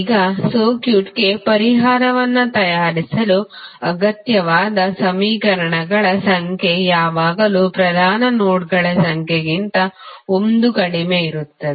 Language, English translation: Kannada, Now, the number of equations necessary to produce a solution for a circuit is in fact always 1 less than the number of principal nodes